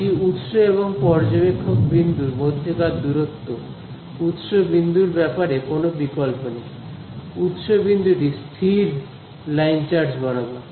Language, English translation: Bengali, It is the distance between the source and observer point, there is no choice on the source point, source point is fixed is along the line charge